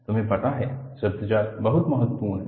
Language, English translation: Hindi, You know, jargons are very important